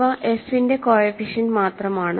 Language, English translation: Malayalam, These are just the coefficients of f